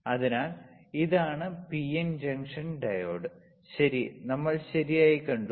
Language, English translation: Malayalam, So, this is PN junction diode, right, we have seen right